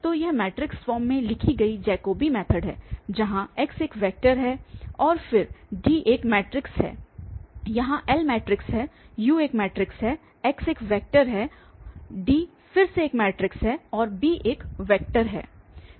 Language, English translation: Hindi, So, this is the Jacobi method written in this matrix form were this x is a vector and then D is a matrix here L is matrix, U is a matrix, x is a vector, D is again a matrix and b is a vector